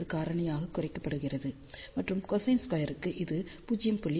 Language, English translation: Tamil, 8 1, and for cosine squared it is reduced by a factor of 0